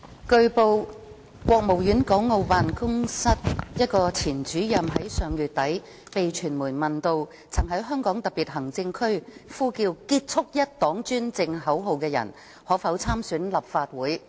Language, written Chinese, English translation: Cantonese, 據報，國務院港澳事務辦公室一位前主任於上月底被傳媒問到，曾在香港特別行政區呼叫"結束一黨專政"口號的人士可否參選立法會。, It has been reported that late last month a former Director of the Hong Kong and Macao Affairs Office of the State Council was asked by the media on whether people who had chanted end the one - party dictatorship slogan in the Hong Kong Special Administrative Region HKSAR might run for the Legislative Council LegCo election